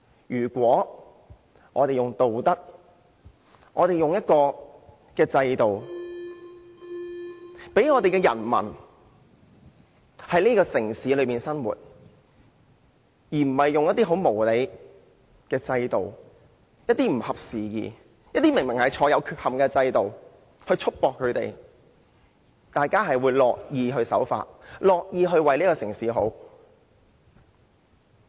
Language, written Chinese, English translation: Cantonese, 如果我們是用道德和制度讓人民在城市中生活，而不是用很無理、不合時宜且顯然有缺憾的制度束縛他們，大家都會樂意守法，樂意為城市好。, If people living in the city are governed by virtue and institutions but not by unreasonable outdated and apparently deficient systems they would be more than willing to comply with the law and work for the well - being of the city